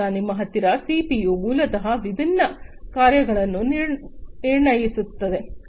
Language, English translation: Kannada, Then you have the CPU basically diagnosing different tasks